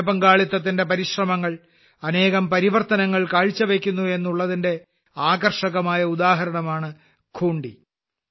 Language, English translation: Malayalam, Khunti has become a fascinating example of how any public participation effort brings with it many changes